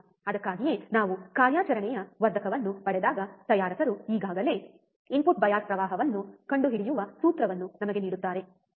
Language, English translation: Kannada, That is why when we get the operational amplifier, the manufacturers already give us the formula of finding the input bias current, how